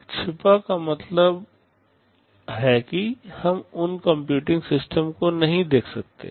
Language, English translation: Hindi, Hidden means we cannot see those computing systems